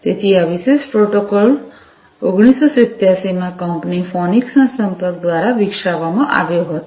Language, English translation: Gujarati, So, this particular protocol was developed in 1987 by the company phoenix contact